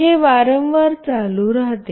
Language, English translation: Marathi, This goes on repeatedly